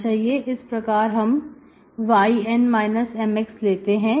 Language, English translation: Hindi, So I choose y, yN minus xM